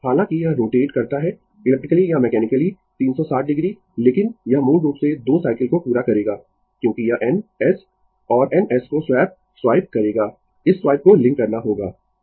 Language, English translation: Hindi, Although, it will rotate electrically or mechanically 360 degree, but it will basically complete 2 cycle because it will swap swipe N S and N S, this swipe has to link